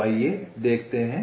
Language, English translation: Hindi, right, let see